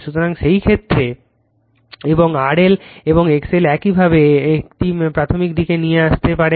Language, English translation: Bengali, So, in that case and this R L and X L in similar way you can bring it to the primary side